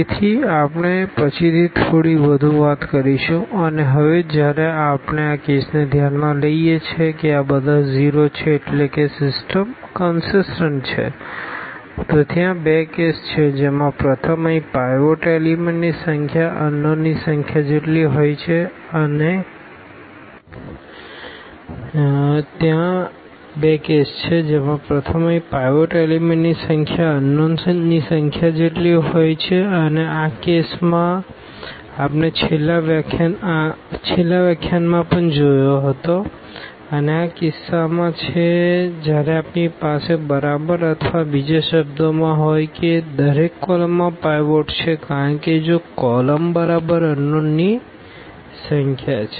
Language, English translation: Gujarati, So, anyway so, we will be talking little more later and now here when we take this case that these are zeros meaning the system is consistent then there are two cases the first here the number of pivot elements is equal to the number of unknowns and this case also we have seen in the last lecture and this is the case when we have exactly or in other words that each column has a pivot because if the column columns are exactly the number of unknowns